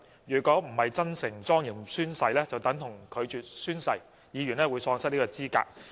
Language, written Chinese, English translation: Cantonese, 如果並非真誠及莊嚴宣誓，便等同拒絕宣誓，議員會因此而喪失資格。, One who has failed to take his oath sincerely and solemnly will be deemed to have declined to take the oath and is thus no longer qualified for his office